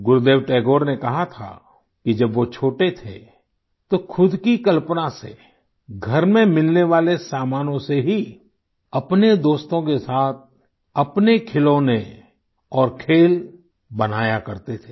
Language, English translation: Hindi, Gurudev Tagore had said that during his childhood, he used to make his own toys and games with his friends, with materials available at home, using his own imagination